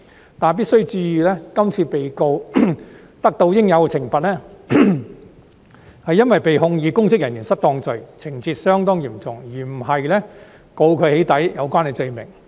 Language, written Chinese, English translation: Cantonese, 不過，必須注意，今次被告得到應有懲罰，是因為被控以公職人員行為失當罪，情節相當嚴重，而不是被控以與"起底"有關的罪名。, However it must be noted that the defendant in this case was duly punished because she was charged with misconduct in public office which is of significant gravity rather than an offence related to doxxing